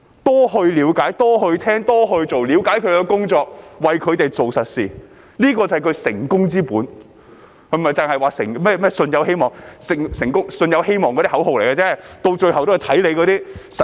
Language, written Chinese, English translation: Cantonese, 多了解、多聆聽、多做事，了解自己的工作，為他們做實事，這便是他的成功之本，並非只是說"信有希望"，那只是口號，最終也要看實績。, He has been making extra effort to understand and listen to them to work for them and to understand his duties serving them with practical work . This is his key to success . It is not mere talk about with faith comes hope which would be nothing more than a slogan for what ultimately count are practical achievements